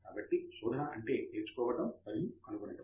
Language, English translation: Telugu, So the searching is for both learning and for discovering